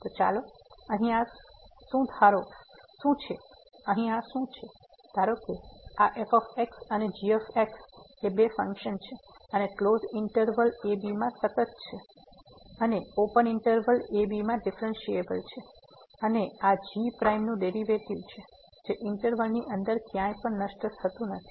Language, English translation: Gujarati, So, what is this here let us go through the, suppose this and are two functions and continuous in closed interval and differentiable in open interval and this prime the derivative of does not vanish anywhere inside the interval